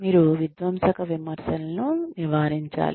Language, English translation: Telugu, You should avoid, destructive criticism